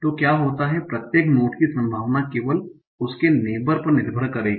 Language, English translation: Hindi, The probability of each node will depend on only its neighbor